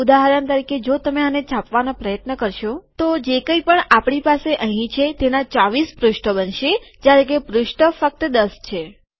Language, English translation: Gujarati, For example, if you try to print this, whatever we have here, it will produce 24 pages even though there are only 10 pages